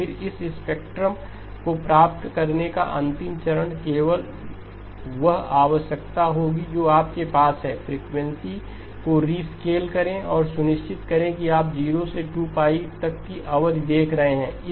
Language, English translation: Hindi, Then, the last step of getting this spectrum would be just the requirement that you have to rescale the frequencies and make sure that you are looking at a period from 0 to 2pi okay